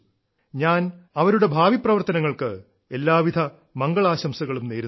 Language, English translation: Malayalam, I wish her all the best for her future endeavours